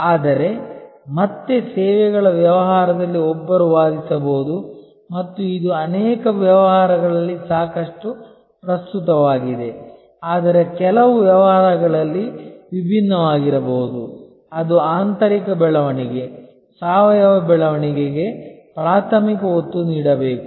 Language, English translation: Kannada, But, again in services business one can argue and this is quite relevant in many businesses, but could be different in some businesses that primary emphasis should be on internal growth, organic growth